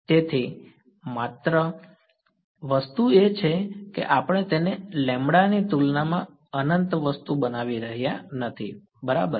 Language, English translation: Gujarati, So, only thing is we are not making it infinitely thing its small compared to lambda right